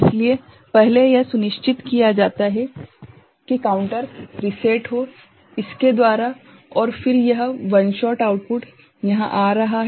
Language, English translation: Hindi, So, first it is ensured that the counter is reset, by this and then this one shot output is coming here